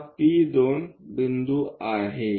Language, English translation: Marathi, This is P2 point